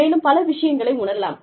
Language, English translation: Tamil, You may feel, so many things